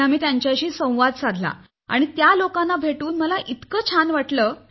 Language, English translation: Marathi, So there we interacted with those students as well and I felt very happy to meet them, many of them are my friends too